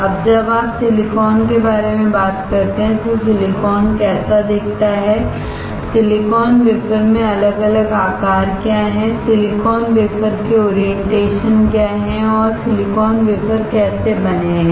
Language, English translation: Hindi, Now, when you talk about silicon, how silicon looks like, what are the different size in silicon wafer, what are the orientations of silicon wafer and how silicon wafer is made